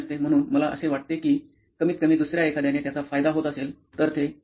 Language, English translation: Marathi, So I feel like at least if somebody else is benefitting from it, that is okay